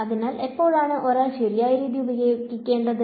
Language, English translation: Malayalam, So, when should one use which method right